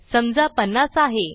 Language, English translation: Marathi, Let say 50